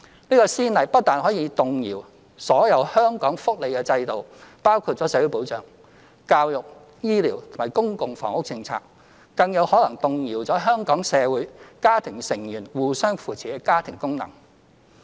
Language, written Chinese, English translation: Cantonese, 這個先例不但可能動搖所有香港的福利制度，包括社會保障、教育、醫療及公共房屋政策，更有可能動搖香港社會家庭成員互相扶持的家庭功能。, Such a precedent will not only prejudice the entire welfare system in Hong Kong including policies pertaining to social security education healthcare and public housing but also undermine the prevailing familial function of mutual assistance among family members